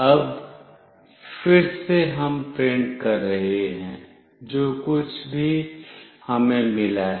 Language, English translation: Hindi, Now, again we are printing, whatever we have received